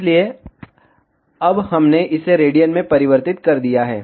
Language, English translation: Hindi, So, now we have converted it in radian